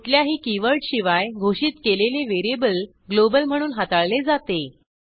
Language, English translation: Marathi, A variable declared without any keyword,is treated as a global variable